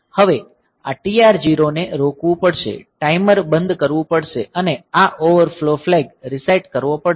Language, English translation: Gujarati, So, now, this TR0 has to be stop the timer has to be stopped and this overflow flag has to be reset